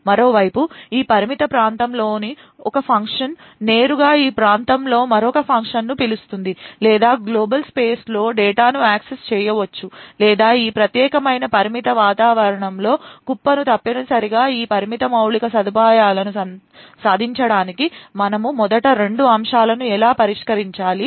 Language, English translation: Telugu, On the other hand functions one function in this confined area could directly call another function in this area or access data in the global space or heap in this particular confined area essentially in order to achieve this confined infrastructure we would require to address two aspects first how would we restrict a modules capabilities